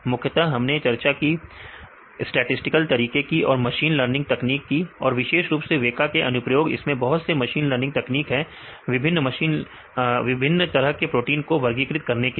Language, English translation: Hindi, Mainly we discussed about statistical methods and machine learning techniques and specifically and the applications of WEKA right it contains various machine learning techniques right to classify in the different types of proteins and so on